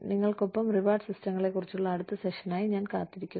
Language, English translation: Malayalam, , I look forward to the next session, on reward systems, with you